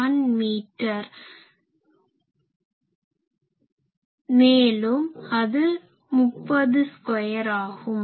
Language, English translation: Tamil, 01 meter and it is 30 square